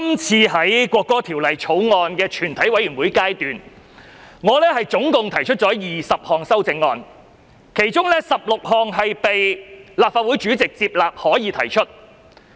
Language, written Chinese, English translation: Cantonese, 就《國歌條例草案》，我總共提出了20項全體委員會審議階段修正案，其中16項被立法會主席裁定為可以提出。, In respect of the National Anthem Bill the Bill I have proposed a total of 20 Committee stage amendments and 16 of them have been ruled admissible by the President of the Legislative Council